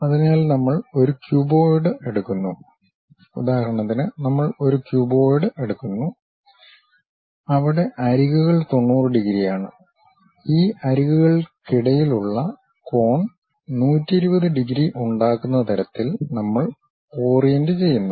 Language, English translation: Malayalam, So, we take a cuboid, for example, we take a cuboid, where edges are 90 degrees; we orient in such a way that the angle between these edges makes 120 degrees